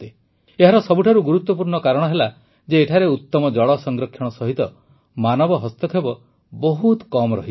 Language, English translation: Odia, The most important reason for this is that here, there is better water conservation along with very little human interference